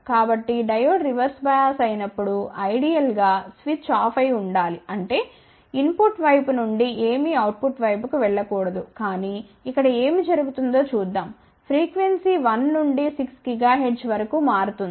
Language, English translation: Telugu, So, when the Diode is reverse bias ideally switch should have been off; that means, nothing from input side should go to the output side, but let us see what is happening here frequency varies from 1 to 6 gigahertz